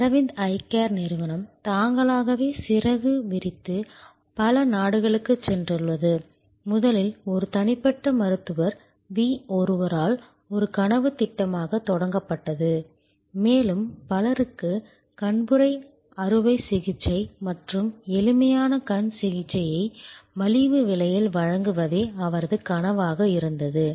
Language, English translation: Tamil, Aravind Eye Care themselves are spread their wings and gone to many countries, originally started as a dream project by one individual Doctor V and his dream was to provide cataract operation and simple eye care to many people at a fordable price